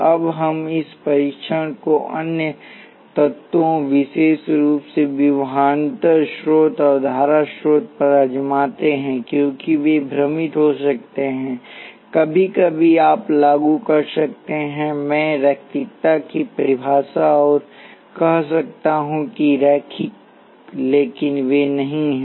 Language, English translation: Hindi, Now let us try this test on other elements; particularly voltage source and the current source, because they can be confusing sometimes you can apply I would definition of linearity and say that linear but they are not